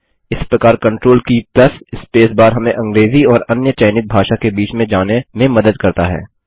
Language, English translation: Hindi, Thus CONTROL key plus space bar acts as a toggle between English and the other language selected